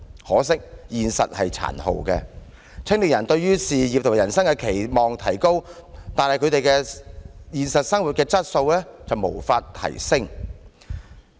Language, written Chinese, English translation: Cantonese, 可惜，現實卻是殘酷的，青年人對事業和人生的期望提高，但他們的現實生活質素卻是無法提升。, Unfortunately the reality is cruel . While young people have higher expectations for their career and life they are unable to live a better life in reality